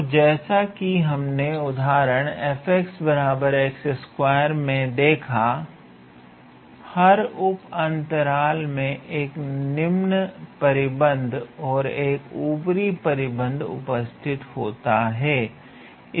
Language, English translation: Hindi, So, similarly on every one of these sub intervals, you will get an upper bound and then you will get a lower bound